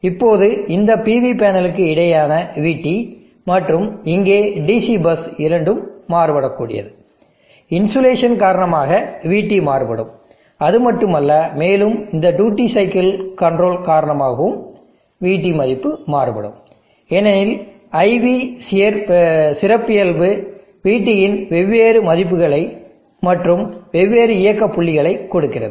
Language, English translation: Tamil, And that the DC bus is varying, now this VT across the PV panel, and the DC bus here both are varying VT varies due to insulation, and not only that but due to this duty cycle control VT value also varies, because of the IV characteristic which is, which gives different values of VT and different operating points